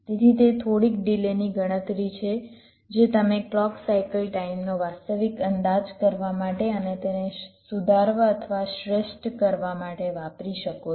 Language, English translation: Gujarati, ok, so these are some delay calculation you can use to actual estimate the clock cycle time and to improve or or optimise one